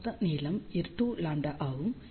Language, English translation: Tamil, So, total length is 2 lambda